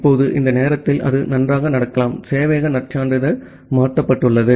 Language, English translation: Tamil, Now, sometime it may happen that well during this time, it may happen that the server credential has been changed